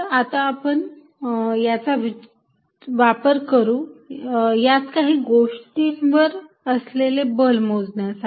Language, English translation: Marathi, So, now let use this to calculate forces on some configuration